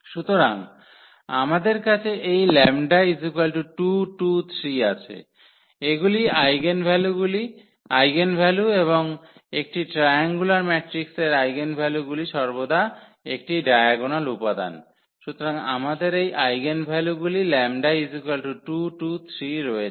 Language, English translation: Bengali, So, we have this 2 2 3 there these are the eigenvalues and the eigenvalues of a triangular matrix are always it is a diagonal element; so, we have these eigenvalues 2 2 3